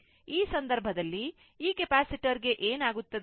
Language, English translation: Kannada, So, in that case, what will happen this capacitor